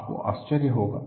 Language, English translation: Hindi, You will have surprises